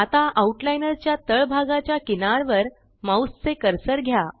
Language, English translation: Marathi, Now, move the mouse cursor to the bottom edge of the Outliner window